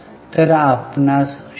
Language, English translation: Marathi, So, you are getting 0